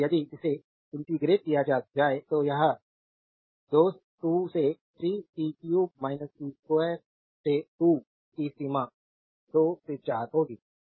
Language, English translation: Hindi, So, if you integrate this it will be 2 by 3 t cube minus t square by 2 limit is 2 to 4